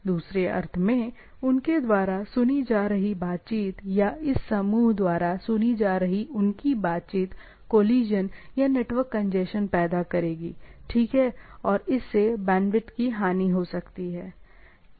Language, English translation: Hindi, In other sense, their conversation being heard by them or their conversation being heard by this group will create a collision or network congestion, right and it may lead to again, bandwidth loss